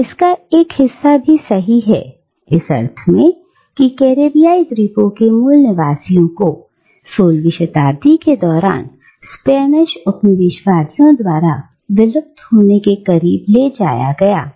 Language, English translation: Hindi, But, part of it is also true, in the sense that, the native inhabitants of the Caribbean islands were driven to near extinction by the Spanish Colonisers during the 16th century